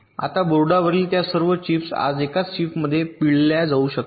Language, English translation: Marathi, now all those chips on the boards can be squeezed in to a single chip today